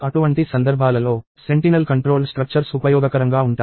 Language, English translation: Telugu, In such cases, the sentinel controlled structures are useful